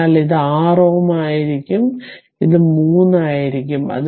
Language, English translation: Malayalam, So, it will be your ah 6 ohm and this will be ah 3 ohm